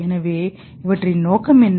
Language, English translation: Tamil, So, what is the purpose of all this